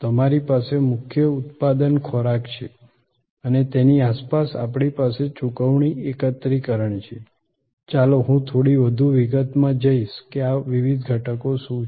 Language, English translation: Gujarati, That you have the core product is food and around it we have payment consolidation, let me go through a little bit more in detail that what are this different elements